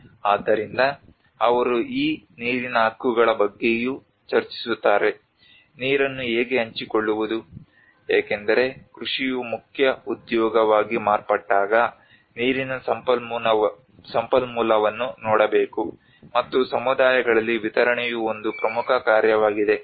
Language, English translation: Kannada, So they also discuss about these water rights; how to share the water because when agriculture has become the main occupation, one has to look at water resourcing and distribution is an important task among the communities